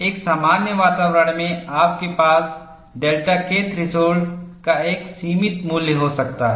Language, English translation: Hindi, In a normal environment, you may have a finite value of delta K threshold; in an aggressive environment, it can be 0